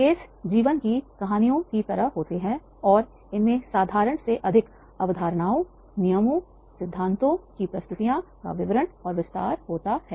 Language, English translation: Hindi, Cases resembles life like stories and contain more description and detail than simple presentations of the concepts, rules and principles